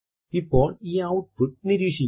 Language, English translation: Malayalam, Now observe the output